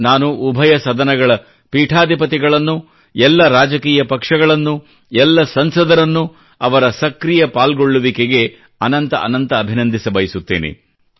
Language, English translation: Kannada, I wish to congratulate all the Presiding officers, all political parties and all members of parliament for their active role in this regard